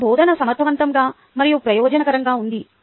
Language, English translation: Telugu, is my teaching effective and efficient